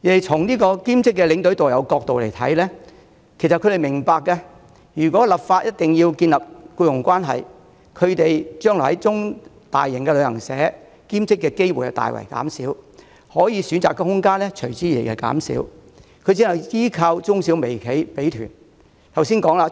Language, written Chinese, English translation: Cantonese, 從兼職領隊及導遊的角度來看，他們亦明白，立法規定建立僱傭關係的建議，會令他們將來在大型旅行社兼職的機會大減，其選擇空間隨之減少，他們只能依靠小型旅行社派團。, From the perspective of part - time tour escorts and tourist guides they are well aware that the proposal to establish an employment relationship by legislation will greatly reduce their opportunities to work part - time for large travel agents and limit their choices subsequently . They will then have to rely solely on small travel agents for job opportunities